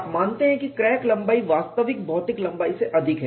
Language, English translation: Hindi, You consider the crack length is longer than the actual physical length